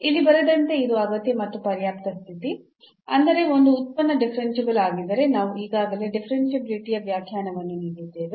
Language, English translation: Kannada, So, as written here it is a necessary and sufficient; that means if a function is differentiable we have given already the definition of the differentiability